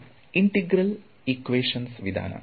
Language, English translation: Kannada, Its integral equation methods